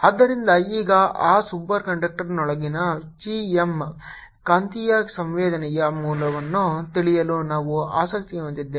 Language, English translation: Kannada, so now we are interested to know the value of magnetic susceptibility, chi, m, inside that superconductor